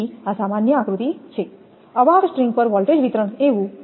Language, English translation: Gujarati, So, this is general figure so voltage distribution across an insulator string